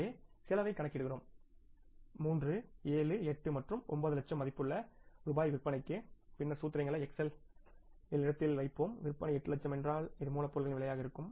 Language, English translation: Tamil, So we calculate the cost for all three levels 7, 8 and 9 lakh worth of rupees sales and then we put the formulas in place in the system in the Excel and we say that if the sales are 8 lakhs this is going to be the cost of raw material